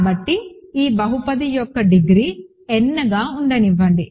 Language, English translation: Telugu, So, let the degree of this polynomial be F n